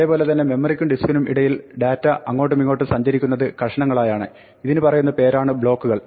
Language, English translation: Malayalam, In the same way, the way that data flows back and forth between memory and disk is in chunks called blocks